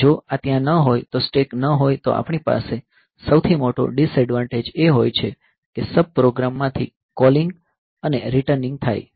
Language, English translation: Gujarati, So, if this is not there if the stack is not there then the biggest disadvantage that we have is the calling and returning from sub program